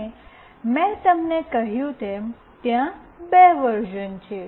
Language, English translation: Gujarati, And as I told you, there are two versions